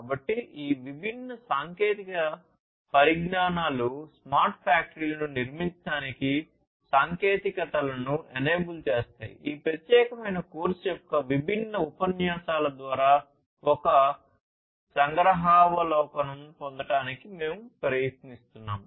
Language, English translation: Telugu, So, all these different technologies the enabling technologies for building smart factories, this is what we are trying to get a glimpse of through the different lectures of this particular course